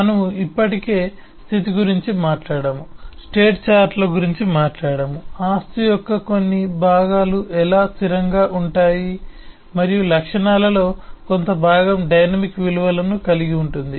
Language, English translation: Telugu, we have talked about state, already talked state charts, how certain parts of the property could be static and certain part of the properties could have dynamic values